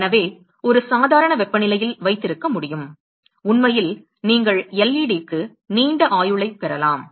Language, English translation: Tamil, So, one is able to keep for at a normal temperature then actually you can have a longer life for LED